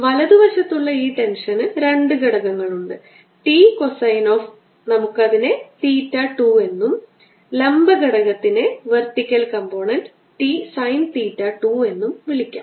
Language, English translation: Malayalam, this tension on right hand side on two components, t minus cosine of, let's call it theta two, and vertical component t sin of theta two